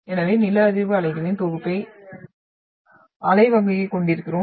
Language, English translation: Tamil, So if you look at the compilation of this seismic waves what we are having the wave type